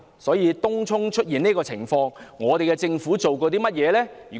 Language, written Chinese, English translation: Cantonese, 對於東涌出現的這個情況，政府有何行動呢？, In view of the situation in Tung Chung what will the Government do?